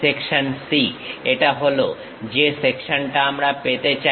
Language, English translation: Bengali, Section C, this is the section what we would like to have